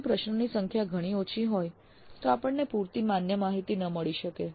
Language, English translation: Gujarati, If the length is too small, if the number of questions is too small, we may not get adequate valid data